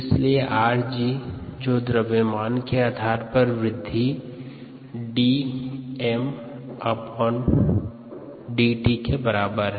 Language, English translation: Hindi, therefore, r g, which is the growth rate on a mass basis, equals d m, d t